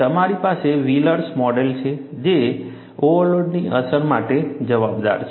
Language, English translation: Gujarati, You have a Wheelers model, which accounts for the effect of overload